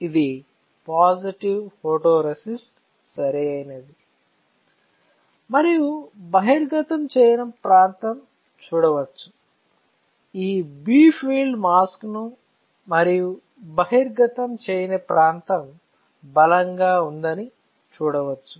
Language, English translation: Telugu, So, this is my positive photoresist correct, this is a positive photoresist and you can see that the area which is not exposed you see this bright field mask and the area which was not exposed got stronger